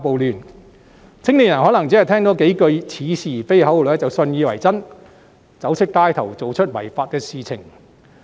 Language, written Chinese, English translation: Cantonese, 年青人可能只是聽了三數似是而非的口號便信以為真，走出街頭做出違法的事情。, Some young people on hearing perhaps just some specious slogans might have regarded them as gospel truth and taken to the street to commit illegal acts